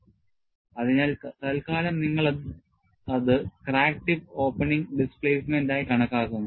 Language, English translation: Malayalam, So, you take that as crack tip opening displacement, for the time being